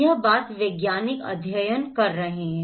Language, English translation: Hindi, This is what the scientific studies are saying